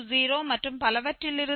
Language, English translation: Tamil, 20 so up to this 0